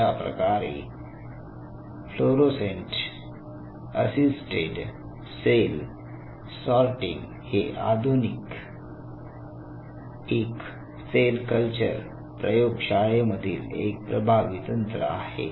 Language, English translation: Marathi, So, these fluorescent cell sorter fluorescent assets assisted cell sorter are one of the very potential tools in the modern cell culture labs